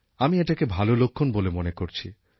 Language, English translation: Bengali, I consider this as a positive sign